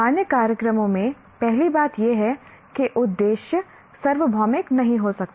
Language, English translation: Hindi, That is the first thing in general programs, aims cannot be that universal